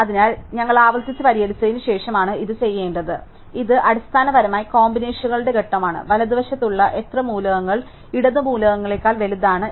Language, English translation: Malayalam, So, this has to be done after we are solve the recursively, so this is basically the combinations step, how many elements in the right are bigger than elements in the left